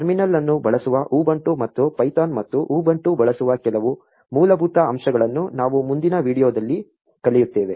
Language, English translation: Kannada, We will learn some of the basics about ubuntu using the terminal and using python and ubuntu in the next video